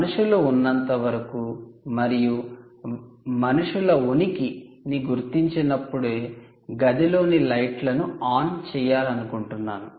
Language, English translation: Telugu, you want to switch on the lights, keep the lights in the room as long as humans are present, right, only when they detect presence of humans